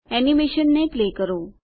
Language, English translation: Gujarati, Play this animation